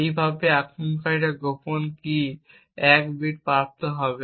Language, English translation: Bengali, With this way the attacker would obtain 1 bit of the secret key